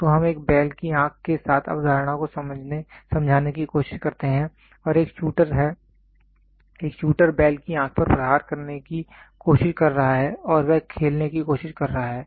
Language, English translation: Hindi, So, let us try to explain the concept with a bull’s eye and a shooter is there, a shooter is trying to hit at bulls eye and he is trying to play